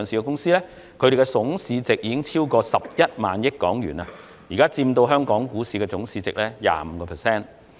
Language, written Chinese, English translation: Cantonese, 這些公司的總市值已超過11萬億港元，現時佔香港股市總市值的 25%。, These companies have a combined market capitalization of over 11 trillion accounting for 25 % of the current total market capitalization in Hong Kong